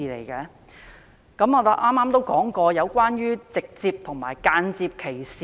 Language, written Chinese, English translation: Cantonese, 究竟如何界定直接和間接歧視？, How to define direct and indirect discrimination?